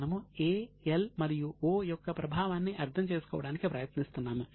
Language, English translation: Telugu, We are trying to understand the impact of A, L and O